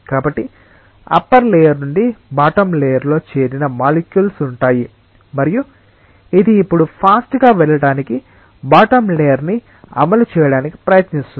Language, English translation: Telugu, So, from the upper layer there will be molecules which are joining the bottom layer, and this will now try to enforce the bottom layer to move faster